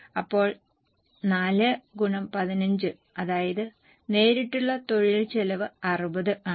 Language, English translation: Malayalam, So 4 into 15, that means direct labour cost is 60